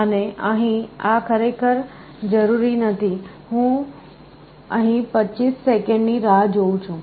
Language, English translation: Gujarati, And here, this is not required actually, I am waiting for 25 seconds